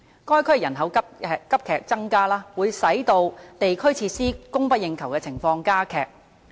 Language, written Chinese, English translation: Cantonese, 該區人口急增，會使地區設施供不應求的情況加劇。, The surge in population in the area will render the shortage of district facilities more acute